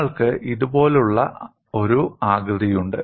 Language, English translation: Malayalam, You have a shape something like this